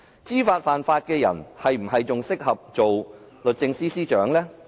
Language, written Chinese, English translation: Cantonese, 知法犯法的人，是否仍然適合當律政司司長？, Is a person who has deliberately broken the law still fit for the position of Secretary for Justice?